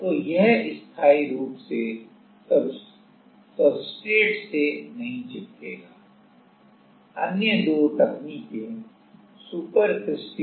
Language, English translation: Hindi, So, it will not get permanently stuck to the substrate